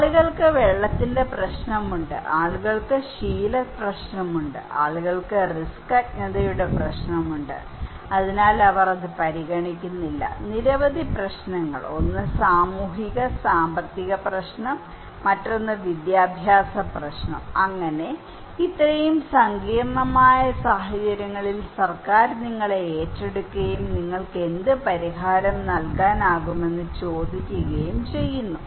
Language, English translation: Malayalam, People have water problem, people have habit problem, people have problem of risk ignorance so, they are not considering so, many problems, one is socio economic problem, another one is the educational problem so, during such a complex situations, the government is hiring you and asking you that what solution you can give